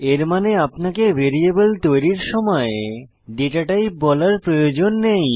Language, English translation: Bengali, It means that you dont need to declare datatype while creating a variable